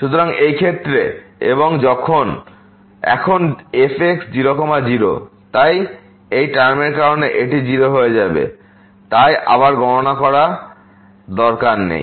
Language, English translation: Bengali, So, in this case: and now at 0 0, so this will become 0 because of this product there, so no need to compute again